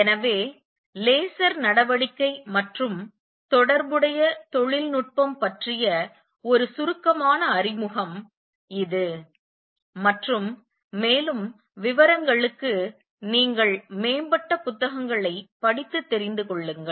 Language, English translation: Tamil, So, this is a brief introduction to the laser action and the related technology right for more details you may going to read you know advanced books